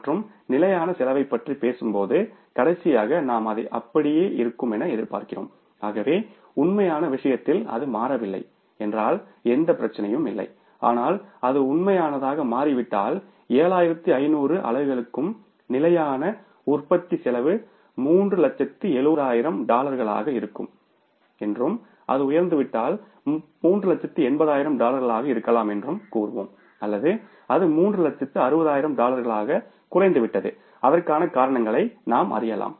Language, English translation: Tamil, So, if that has not changed in case of the actual then there is no problem but if it has changed for the actual so we would say that for 7,500 units also the fixed manufacturing cost would be $370,000 and if it has gone up maybe $380,000 or it has come down to $360,000 so we can find out the reasons for that